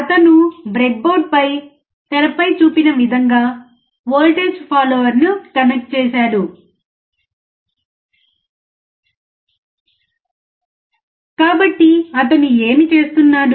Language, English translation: Telugu, He will connect the voltage follower as shown on the screen on the breadboard